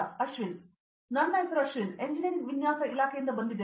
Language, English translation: Kannada, My name is Ashwin, I am from Department of Engineering Design